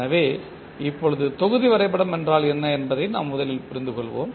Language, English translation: Tamil, So now let us first understand what is block diagram